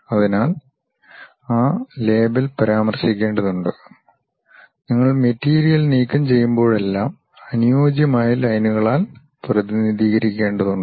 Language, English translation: Malayalam, So, that label has to be mentioned and whenever you remove the material, you have to represent by suitable lines